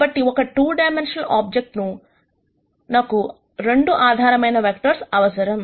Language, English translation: Telugu, So, for a 2 dimensional object we will need 2 basis vectors